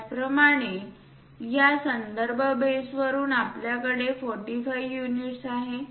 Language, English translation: Marathi, Similarly, from this reference base we have it 45 units